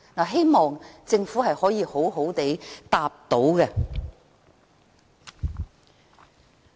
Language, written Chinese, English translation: Cantonese, 希望政府稍後回答這個問題。, I hope the Government will answer this question later